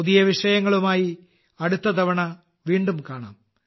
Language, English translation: Malayalam, See you again, next time, with new topics